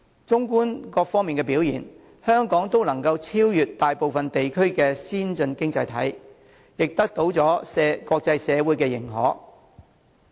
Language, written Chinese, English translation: Cantonese, 縱觀各方面的表現，香港都能夠超越大部分先進經濟體，亦得到了國際社會的認可。, Overall speaking Hong Kongs performance can outpace most major economies in many aspects and its achievements have also been recognized by the international community